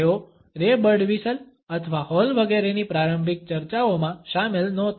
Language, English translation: Gujarati, They were not included in the initial discussions of Ray Birdwhistell or Hall etcetera